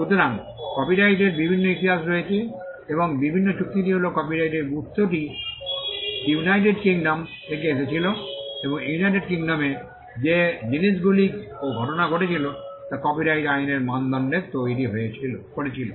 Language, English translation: Bengali, So, there are different histories in copyright and the broad agreement is that the origin of copyright came from United Kingdom and the things and the events that happened in United Kingdom led to the creation of norms for copyright law